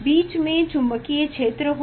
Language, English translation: Hindi, there will be magnetic field in between